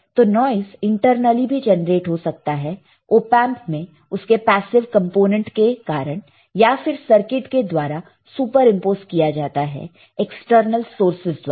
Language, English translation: Hindi, So, noise can either be generated internally in the top in the op amp from its associated passive components or super imposed by circuit by the external sources